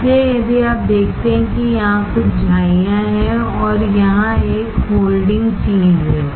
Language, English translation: Hindi, So, if you see here there are some wrenches and here there is a holding things